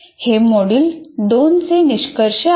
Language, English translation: Marathi, That is the module 2